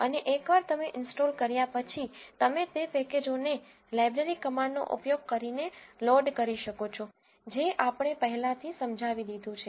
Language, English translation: Gujarati, And once you install, you can load those packages using the library command as we have explained already